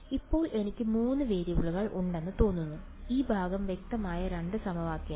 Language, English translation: Malayalam, So, it seems like, now I have three variables two equations this part clear